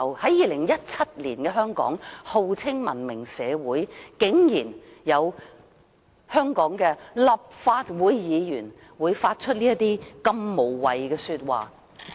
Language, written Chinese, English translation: Cantonese, 在2017年的香港，在號稱文明社會的香港，竟然有香港立法會議員會說出這麼無謂的話。, I cannot understand why a Member of the Hong Kong Legislative Council could utter all those nonsensible words in 2017 here in Hong Kong which claims itself to be a civilized society